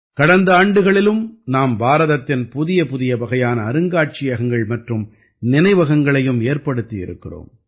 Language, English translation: Tamil, In the past years too, we have seen new types of museums and memorials coming up in India